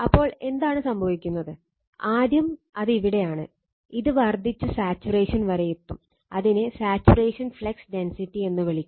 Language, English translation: Malayalam, So, what is happening, first it is we are from here, we have increasing the it will reach to the saturation, we call saturation flux density